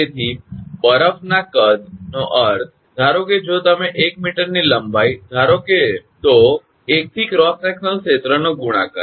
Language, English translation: Gujarati, So, volume of the ice means, suppose if you assume 1 meter length then 1 into cross sectional area